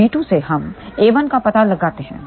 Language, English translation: Hindi, So, b 2 we locate a 1